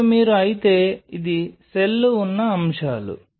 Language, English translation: Telugu, Now if you’re this is stuff on which the cells are